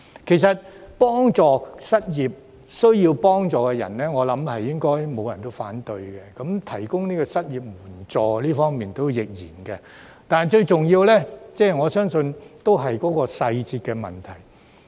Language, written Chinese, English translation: Cantonese, 對於幫助失業及有需要人士，我相信不會有人反對，在提供失業援助方面亦然，我相信最重要是細節的問題。, When it comes to offering assistance to the unemployed and people in need I believe no one will oppose it . The same applies to the provision of an unemployment assistance . Yet I think the most important part is the details